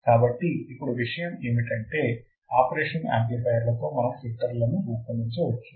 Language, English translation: Telugu, So, now the point is that with the operational amplifiers we can design filters